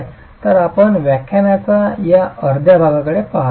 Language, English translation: Marathi, So that's what we're going to be looking at in this half of the lecture